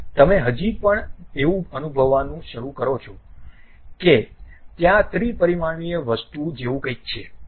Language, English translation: Gujarati, You still start feeling like there is something like a 3 dimensional thing